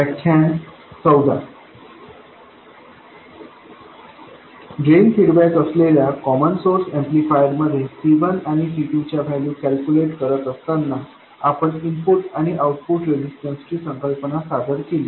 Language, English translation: Marathi, In the common source amplifier with drain feedback, while calculating the values of C1 and C2, we introduce the concept of input and output resistances of the amplifier